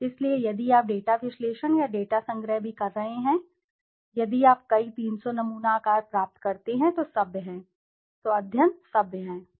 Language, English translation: Hindi, So if you are doing data analysis or data collection also, if you achieve a number of 300 sample size is decent, study is decent